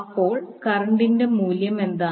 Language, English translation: Malayalam, So what is the value of current